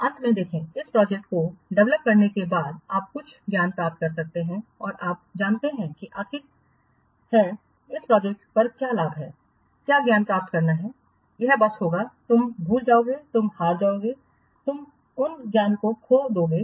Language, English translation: Hindi, See, finally after developing project, you gain some knowledge and you know after the what project is over, this gain, what knowledge gain, it will be simply you will forget, you will lose, you will lost those knowledge